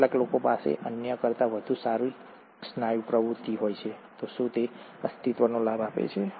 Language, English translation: Gujarati, Some people have a better muscle activity than the other, does it provide a survival advantage